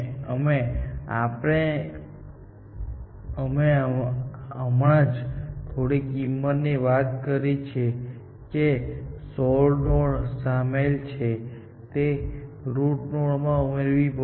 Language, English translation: Gujarati, We have just very briefly, talked about the cost associated with solved nodes and which, have to be aggregated into the root node